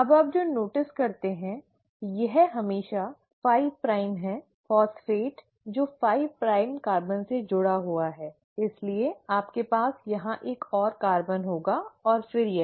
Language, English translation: Hindi, Now what you notice is that it is always the 5 prime, the phosphate which is attached to the 5 prime carbon, so you will have another carbon here and then this